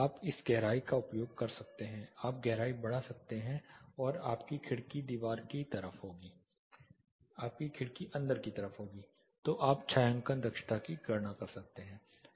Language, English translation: Hindi, You can use this depth you can increase the depth then your window will be on the inside, so you can calculate the shading efficiency